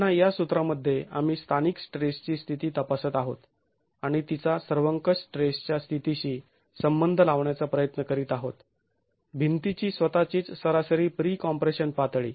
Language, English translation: Marathi, Again, within this formulation we are examining the local states of stress and trying to relate it to the global states of stress, the average pre compression level in the wall itself